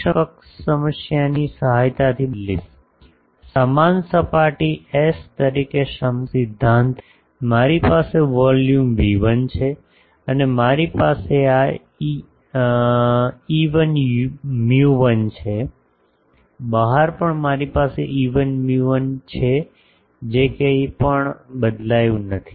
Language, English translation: Gujarati, Now, this actual problem I will replace with the help of equivalence problem, fill equivalence principle as this same surface S, I have the volume V1, and I have these epsilon 1 mu 1, outside also I have epsilon 1 mu 1 that has not change anything